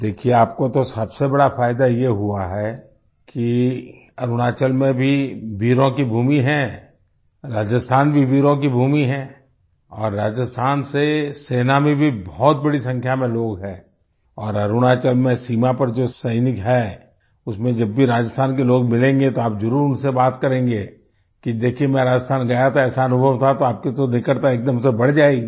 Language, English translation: Hindi, See, the biggest advantage you have got is thatArunachal is also a land of brave hearts, Rajasthan is also a land of brave hearts and there are a large number of people from Rajasthan in the army, and whenever you meet people from Rajasthan among the soldiers on the border in Arunachal, you can definitely speak with them, that you had gone to Rajasthan,… had such an experience…after that your closeness with them will increase instantly